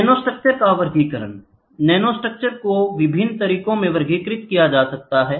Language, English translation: Hindi, Classification of nanostructures nanostructures are classified in different ways